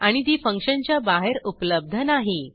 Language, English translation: Marathi, And it is not available outside the function